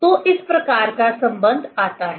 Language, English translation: Hindi, So, this type of relation comes